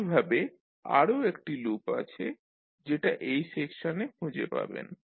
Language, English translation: Bengali, Similarly there is another loop which you can trace using this particular section